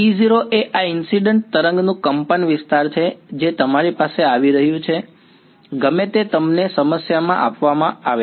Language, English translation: Gujarati, E naught is the amplitude of this incident wave that is coming to you, whatever it is given to you in the problem that in